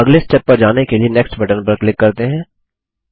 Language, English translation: Hindi, Now let us click on the Next button